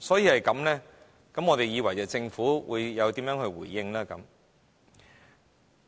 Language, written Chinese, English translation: Cantonese, 正因如此，我們以為政府會作出實質的回應。, For this reason we thought the Government would give a substantial response